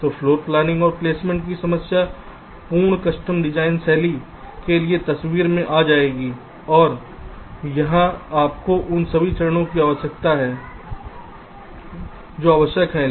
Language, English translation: Hindi, so both floor planning and placement problems will come into the picture for the full custom designs style, and here you need all the steps that are required